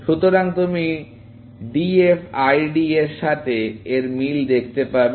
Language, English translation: Bengali, So, you can see this similarity with DFID